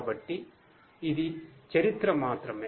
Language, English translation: Telugu, So, this is just the history